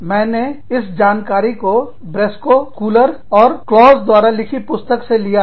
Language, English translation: Hindi, I have taken this information, from a book, written by Briscoe, Schuler, and Claus